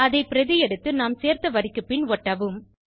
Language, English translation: Tamil, Let us copy and paste that and add it just below the line we added and save it